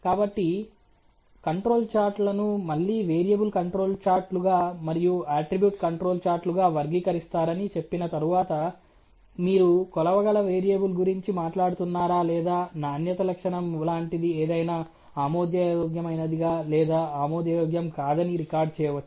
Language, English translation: Telugu, So, having said that the control charges are categories into again variable control charts an attribute control charts based on if you are talking about a measurable variable or something which is like a quality attributes which can be recorded as acceptable or not acceptable